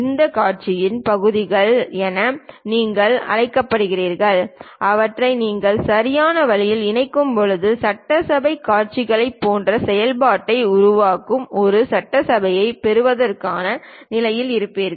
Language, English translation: Tamil, These are called parts parts of this spectacle, when you club them in a proper way you will be in a position to get an assembly that assembly makes the functionality like spectacles